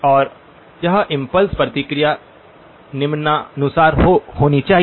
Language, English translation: Hindi, And it should have impulse response given as follows